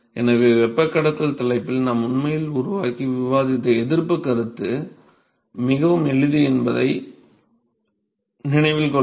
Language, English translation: Tamil, So, remember that the resistance concept that we have actually developed and discussed in conduction topic actually comes very handy